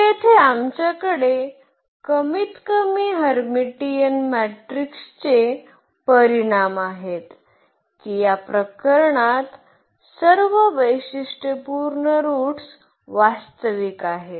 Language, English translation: Marathi, So, here we have at least the results for the Hermitian matrix that all the characteristic roots are real in this case